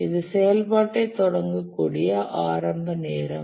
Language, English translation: Tamil, This is the earliest time at which the activity can start